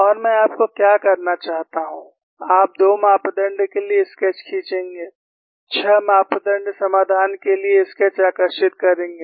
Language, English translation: Hindi, And what I want you to do is, you would draw the sketch for two parameter, draw the sketch for a 6 parameter solution